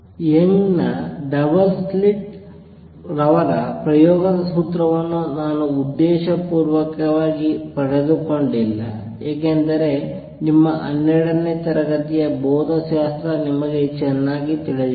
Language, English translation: Kannada, I have deliberately not derive the formula for Young’s double slit experiment, because that you know well from your twelfth grade physics